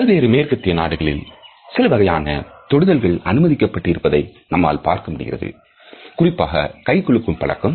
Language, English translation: Tamil, In most of the western world we find that some type of a touch has become permissible now particularly the handshake